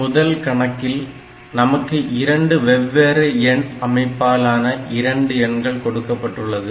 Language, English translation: Tamil, It has got, we are given 2 numbers in 2 different number systems